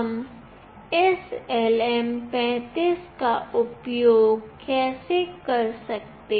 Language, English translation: Hindi, How do we use this LM 35